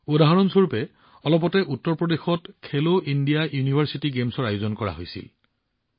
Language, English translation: Assamese, For example, Khelo India University Games were organized in Uttar Pradesh recently